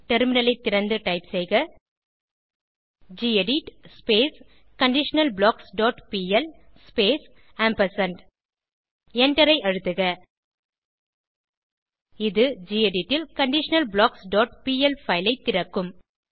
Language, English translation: Tamil, Open the Terminal and type gedit conditionalBlocks dot pl space and press Enter This will open the conditionalBlocks.pl file in gedit